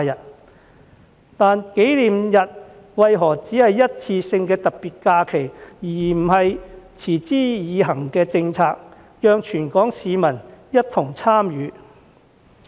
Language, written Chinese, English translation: Cantonese, 可是，紀念日為何只是一次性的特別假期，而不是持之以恆的政策，讓全港市民一同參與？, Nonetheless why would the anniversary be designated as a one - off special holiday but not as a permanent policy so that all Hong Kong people may take part in the relevant activities?